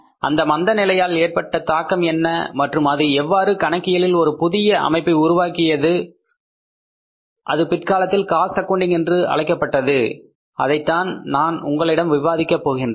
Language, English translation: Tamil, What was the impact of that global recession of 1930s and it how it necessitated the say development of the another discipline of accounting which was later on named as cost accounting that I will discuss with you